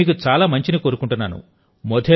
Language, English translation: Telugu, I wish you the very best